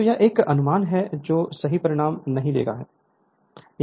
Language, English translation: Hindi, So, this is one approximation it does not give correct result